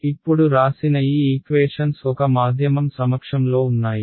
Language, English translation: Telugu, So, these equations that are written now are in the presence of a medium